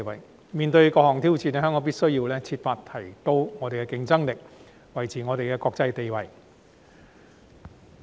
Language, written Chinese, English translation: Cantonese, 香港面對各項挑戰，必須設法提升競爭力，維持國際地位。, In the face of all these challenges Hong Kong must strive to enhance its competitiveness and maintain its international status